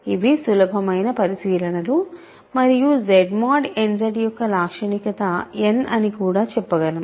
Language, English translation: Telugu, So, these are easy observations and we can also say characteristic of Z mod n Z is n right